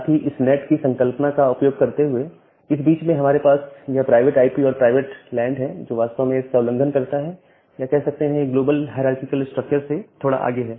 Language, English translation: Hindi, Also we have these private IPs and private lands in between by utilizing this NAT concept which actually violates or which actually moves little bit further from the global hierarchical structure